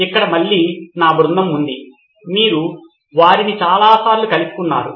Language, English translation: Telugu, So here is my team again, you met them before many, many times